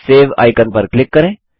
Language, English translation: Hindi, Click the Save icon